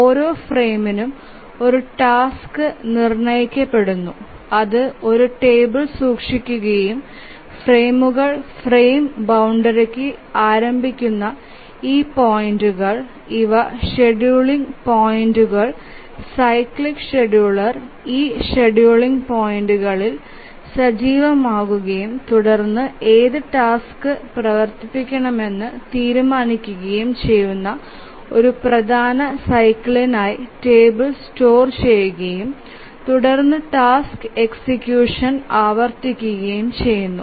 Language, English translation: Malayalam, And to each frame a task is assigned and that is stored in a table and these points at which the frames start the frame boundaries these are the scheduling points The cyclic scheduler becomes active at this scheduling points and then decides which task to run and then the table is stored for one major cycle and then the task execution is repeated